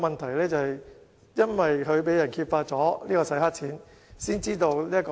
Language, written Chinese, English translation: Cantonese, 其後，因為他被揭發"洗黑錢"，問題才被揭發。, The problem was brought to light later because he was found to engage in money laundering